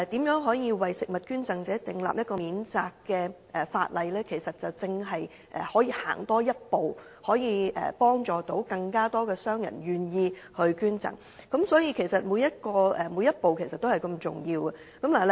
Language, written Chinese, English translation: Cantonese, 如果能夠為食物捐贈者訂立一項免責的法例，便可以多踏前一步，讓更多商戶願意捐贈，所以每一步均同樣重要。, If we can enact legislation to discharge food donors from the associated legal liabilities we will be moving a step forward and enable more business operators to be willing to donate foods . As such every step is equally important